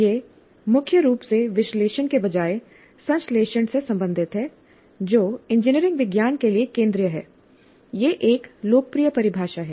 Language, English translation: Hindi, It is primarily concerned with synthesis rather than analysis which is central to engineering science